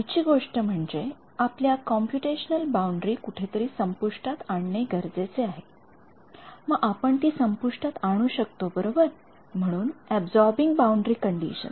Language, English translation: Marathi, Next thing is we need to terminate a computitional boundary somewhere, how do we terminate it right; so, absorbing boundary conditions